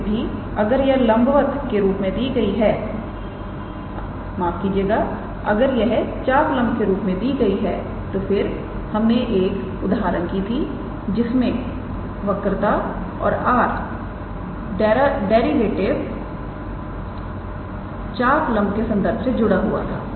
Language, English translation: Hindi, However, if it is given in terms of arc length then we have also worked out an example where curvature and the derivative of r with respect to arc length is connected